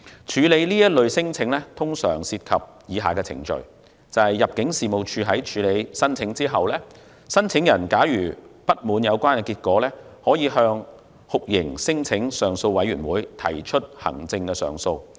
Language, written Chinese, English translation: Cantonese, 處理這類聲請通常涉及以下程序：入境事務處會處理有關申請，假如申請人不滿有關結果，可以向酷刑聲請上訴委員會提出行政上訴。, The handling of such claims normally involves the following procedures The claims will be screened by the Immigration Department and if the claimants are dissatisfied with the results they can file administrative appeals with the Torture Claims Appeal Board TCAB